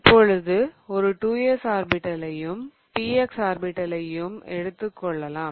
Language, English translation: Tamil, Then I have 2s orbital and then I have 2p orbitals